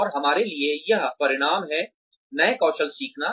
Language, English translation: Hindi, And, that results in us, learning new skills